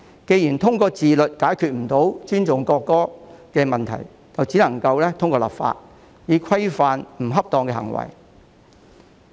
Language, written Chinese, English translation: Cantonese, 既然無法通過自律解決不尊重國歌的問題，故此唯有透過立法規範不恰當的行為。, Since it is impossible to resolve the issue of showing disrespect for the national anthem through self - discipline we can only resort to legislation to regulate such improper behaviours